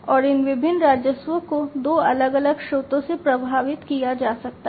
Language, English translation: Hindi, And these different revenues could be streamed from two different sources